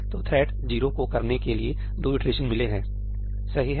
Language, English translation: Hindi, So, thread 0 has got 2 iterations to do